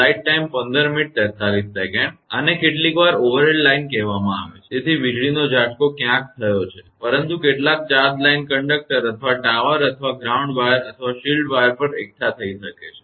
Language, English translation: Gujarati, This is say some overhead line; so, lightning stroke has happened somewhere, but some charge may be accumulated on the line conductor or tower or ground wire or shield wire